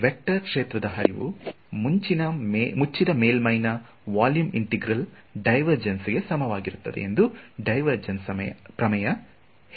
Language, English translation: Kannada, So, divergence theorem said that the flux of a vector field is equal to the divergence of I mean the volume integral of this right so closed surface this